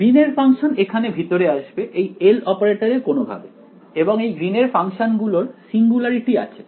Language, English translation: Bengali, Green’s functions will appear inside here somewhere in the L operator or whatever, and these greens functions has singularities